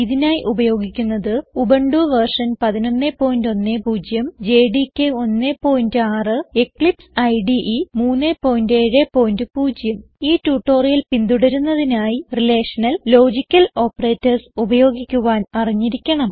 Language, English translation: Malayalam, For this tutorial we are using: Ubuntu v 11.10, JDK 1.6,and EclipseIDE 3.7.0 To follow this tutorial, you should know, about the usage of relational and logical operators